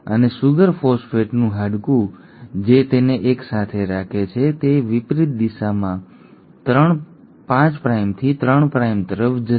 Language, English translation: Gujarati, And the sugar phosphate bone which holds it together will be going in the opposite direction, 5 prime to 3 prime